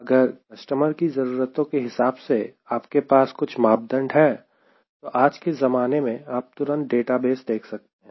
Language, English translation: Hindi, if you have got few parameters as customers requirement, then todays scenario: we immediately see the database